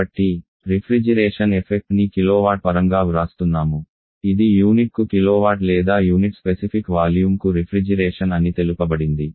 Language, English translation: Telugu, So while the reflection effect is represent in terms of kilowatt, this is kilowatt volume it specific volume or terms of refrigeration per unit specific volume